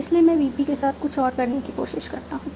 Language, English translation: Hindi, So I try out something else with VP